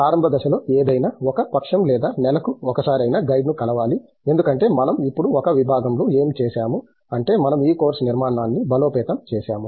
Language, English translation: Telugu, The initial stages anything between meeting the guide once a fortnight to once a month because what we have done in a department now is we have strengthened this course structure